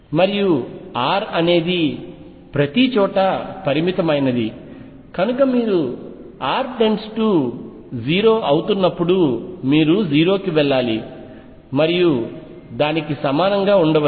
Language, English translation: Telugu, And since R is finite everywhere u should go to 0 as r tends to 0 faster than and maybe equal to also